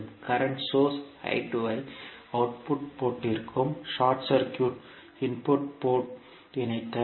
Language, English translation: Tamil, We have to connect a current source I2 to the output port and short circuit the input port